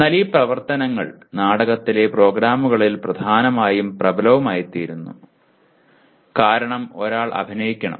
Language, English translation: Malayalam, But these activities become important and even dominant in course/ in programs in theater because one has to act